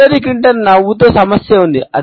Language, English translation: Telugu, Hillary Clinton has a problem with smiling